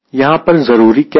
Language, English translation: Hindi, what is important here